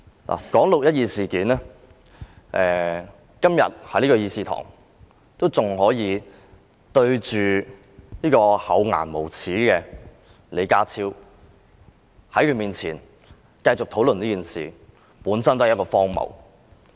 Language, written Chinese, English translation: Cantonese, 要談論"六一二"事件，還要在這議事堂面對這位厚顏無耻的李家超，在他面前進行討論，本身已經很荒謬。, The fact that we have to talk about the 12 June incident and hold the discussion before the impudent and shameless John LEE in this Chamber is very ridiculous in itself